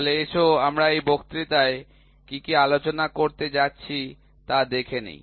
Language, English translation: Bengali, So, let us see what all are we going to cover in this lecture